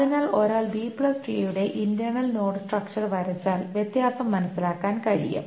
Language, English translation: Malayalam, So if one draws the internal node structure of a B plus tree, one can understand the difference